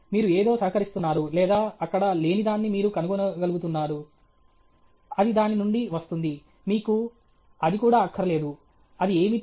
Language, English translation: Telugu, You are contributing something or you are able to find out something which was not there; it comes out of that; you don’t even want that; what is it